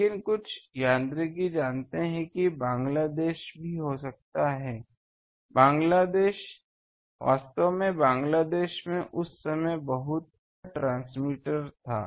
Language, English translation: Hindi, But some mechanics they knew that Bangladesh also can be, actually Bangladesh had a very high power transmitter that time